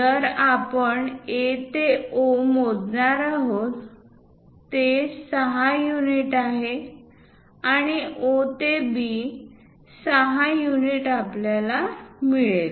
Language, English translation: Marathi, So, if we are going to measure the distance from A to O, 6 units and O to B, 6 units, we are going to get